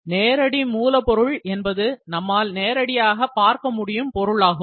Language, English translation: Tamil, Direct material is material that you can see in the product itself